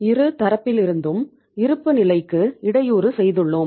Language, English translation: Tamil, We have we have disturbed the balance sheet from both the sides